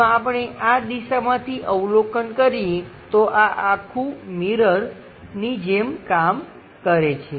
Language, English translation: Gujarati, If we are observing from this direction, this entire thing acts like mirror